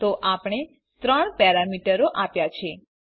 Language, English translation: Gujarati, So we have given three parameters